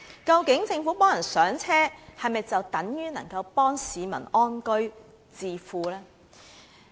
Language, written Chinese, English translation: Cantonese, 究竟政府幫助市民"上車"，是否等於能夠幫助市民安居置富呢？, When the Government helps the people buy their first homes does it really mean it can help them live in peace and accummulate wealth?